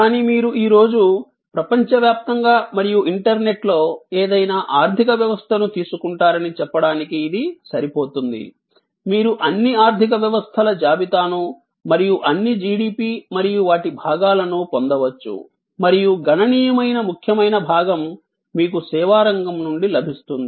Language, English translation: Telugu, But, suffice it to say that you take any economy around the world today and on the internet, you can get list of all economies and all the GDP's and their components and you will find substantial significant part comes from the service sector